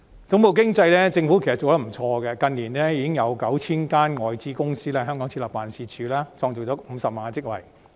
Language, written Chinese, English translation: Cantonese, 總部經濟方面，其實政府做得不錯，近年已經有 9,000 間外資公司在香港設立辦事處，創造50萬個職位。, In terms of headquarters economy the Government has actually done quite a good job . In recent years some 9 000 foreign companies have set up offices and created 500 000 jobs in Hong Kong